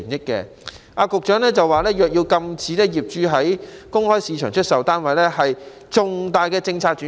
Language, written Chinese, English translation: Cantonese, 局長說若要禁止業主在公開市場出售單位，是重大的政策轉變。, The Secretary says that it will be a major policy change to prohibit these flat owners to resell their flats at the open market